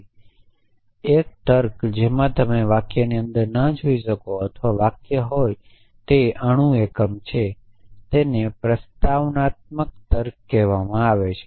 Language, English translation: Gujarati, So, a logic in which you cannot look inside the sentence or were a sentence is the atomic unit is called propositional logic